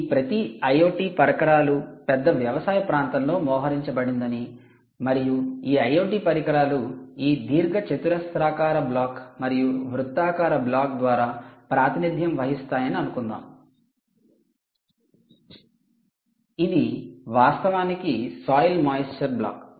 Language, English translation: Telugu, let's assume that each of these i o t devices are deployed in a large farm area and let's assume that these i o t devices, which is represented by this rectangular block and the circular block circular system, is actually a soil moisture block